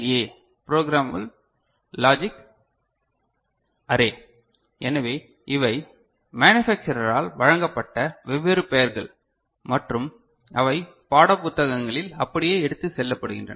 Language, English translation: Tamil, So, this is the PLA right, Programmable Logic Array, so these are different names given by the manufacturer and that is carried forward in the textbooks ok